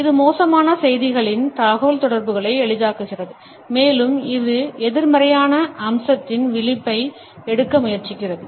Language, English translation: Tamil, It eases off communication of bad news and it tries to take the edge off of a negative aspect